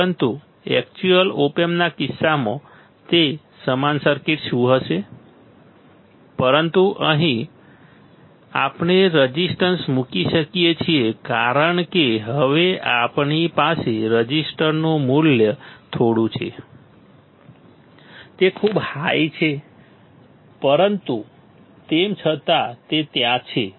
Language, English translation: Gujarati, But in case of actual op amp, in case of actual op amp, what it will be same circuit, but here we can put a resistance because now we have some value of resistor it is very high, but still it is there